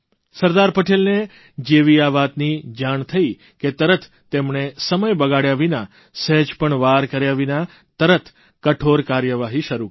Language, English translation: Gujarati, When Sardar Patel was informed of this, he wasted no time in initiating stern action